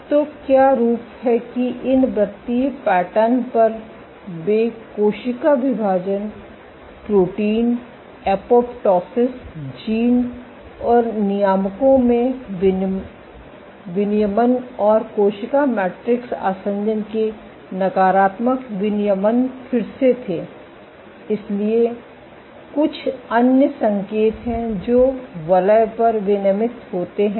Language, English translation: Hindi, So, what the form that on these circular patterns they had up regulation in cell division, proteins, apoptosis genes and regulators and negative regulation of cell matrix adhesion again, so there are some other signals which are down regulated on the circles